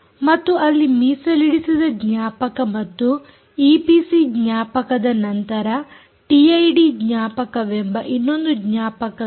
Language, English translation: Kannada, then there is something called after reserved memory and e p c memory there something called t i d memory